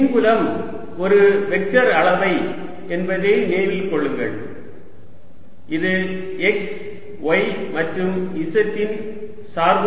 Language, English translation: Tamil, recall that electric field is a vector quantity which is a function of x, y and z